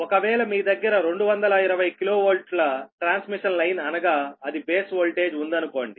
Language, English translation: Telugu, suppose you have a two, twenty k v transmission line, that is base voltage